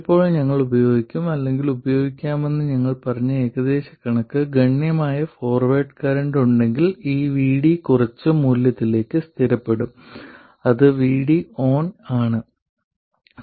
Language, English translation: Malayalam, Now, the approximation we said we will use or we can use is that if there is a substantial forward current then this VD will be fixed to some value which is VD on